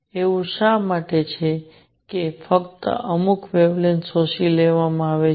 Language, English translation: Gujarati, Why is it that only certain wavelengths are absorbed